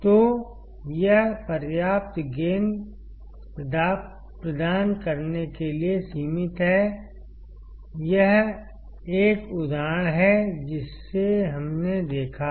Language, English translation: Hindi, So, it is limited to provide sufficient gain; this is an example which we have seen